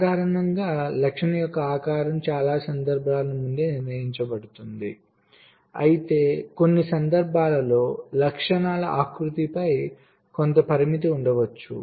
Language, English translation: Telugu, normally shape of the feature is ah predefined in many cases, but in some cases there may be some constraint on the shape of the features as well